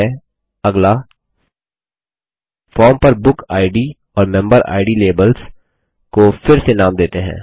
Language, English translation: Hindi, Okay, next, let us rename the BookId and MemberId labels on the form